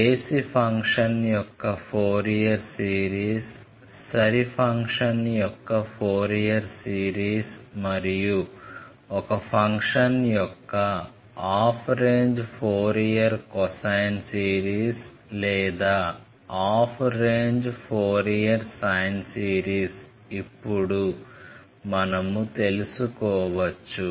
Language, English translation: Telugu, I can find out the Fourier series of the odd function, Fourier series of the even function and half range Fourier cosine series or half range Fourier sine series of a function f x, when the function is defined in the interval 0 to l